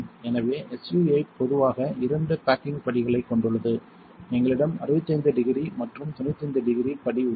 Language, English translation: Tamil, So, SU 8 generally has two baking steps we have a 65 degree and a 95 degree step